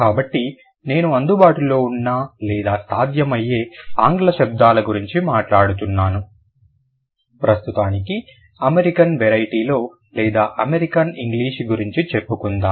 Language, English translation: Telugu, So, I'm going to, like I was talking about available or possible English sounds, let's say in American variety or in American English for the moment